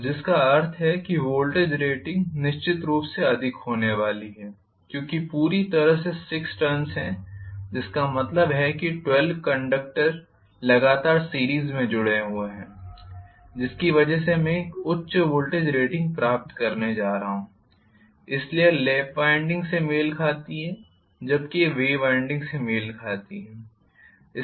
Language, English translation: Hindi, So which means the voltage rating definitely is going to be higher because I am going to have totally 6 turns, which means 12 conductors are connected in series continuously so because of which I am going to have a higher voltage rating so this corresponds to lap winding whereas this corresponds to wave winding